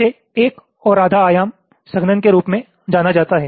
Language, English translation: Hindi, this is referred to as one and a half dimension compaction